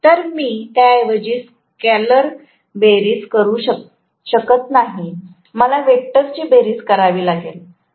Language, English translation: Marathi, So, I cannot make a scalar sum rather, I have to make a vector sum right